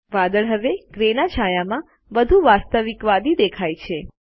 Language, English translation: Gujarati, The cloud now has a more realistic shade of gray